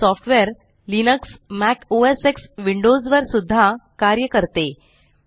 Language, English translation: Marathi, It is supposed to work on Linux, Mac OS X and also on Windows